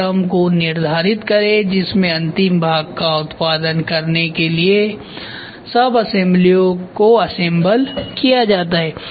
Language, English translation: Hindi, Determine the order in which the sub assemblies are assembled to produce a final part